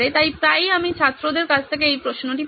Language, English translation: Bengali, So often times I get this question from students